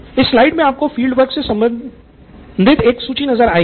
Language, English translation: Hindi, So this slide has a list that you can look at in terms of field work